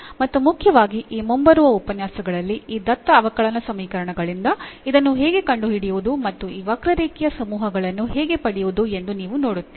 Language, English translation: Kannada, And mainly in this lectures upcoming lectures you will see actually how to find this from this given differential equation, how to get this family of curves